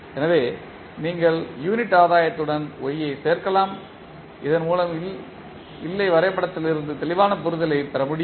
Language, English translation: Tamil, So, you can add y with unit gain so that you can have the clear understanding from the state diagram